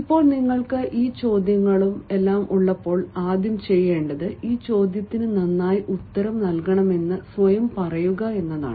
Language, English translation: Malayalam, now, when you have all these valley of questions, the first thing that you should do is first tell yourself that you can answer these questions well